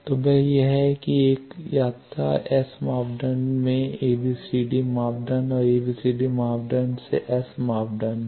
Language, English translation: Hindi, So, that is that was 1 journey another journey is S to ABCD and ABCD to s